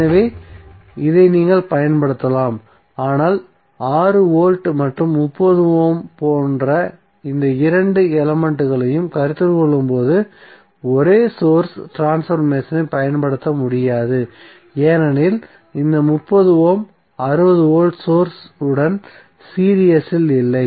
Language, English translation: Tamil, So this you can utilize but, you cannot apply the same source transformation while considering these two elements like 6 volts and 30 ohm because this 30 ohm is not in series with 60 volt source